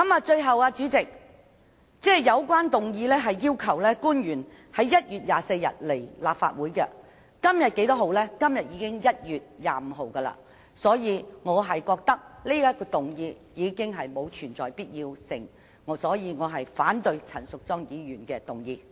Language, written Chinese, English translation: Cantonese, 最後，主席，本議案要求官員在1月24日來立法會，而今天已是1月25日，此項議案已再無提出的必要，因此我反對陳淑莊議員的議案。, Lastly President the motion requests officials to attend the Legislative Council meeting on 24 January but today is already 25 January; hence it is no longer necessary to propose the motion . Therefore I oppose the motion moved by Ms Tanya CHAN